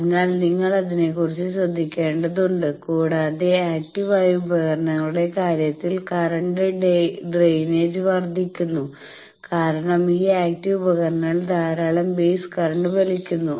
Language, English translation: Malayalam, So, you will have to be careful about that and current drain also increases in case of active devices because they have these active devices they draw lot of base currents etcetera